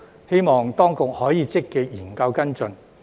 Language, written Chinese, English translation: Cantonese, 希望當局可以積極研究跟進。, I hope the Administration can study and follow up this matter proactively